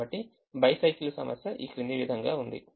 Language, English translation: Telugu, so the bicycle problem is as follows